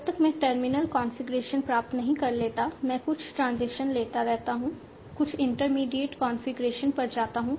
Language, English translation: Hindi, I keep on taking some transitions, go to some intermediate configuration until I obtain the terminal configuration